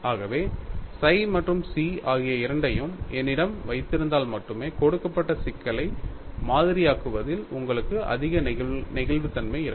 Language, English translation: Tamil, So, only if I have both of them, psi and chi, you have more flexibility in modeling a given problem; you can have a hint site of that